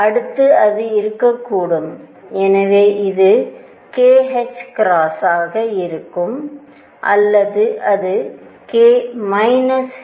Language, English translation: Tamil, Next it could be, so this will be k h cross or it will be k minus h cross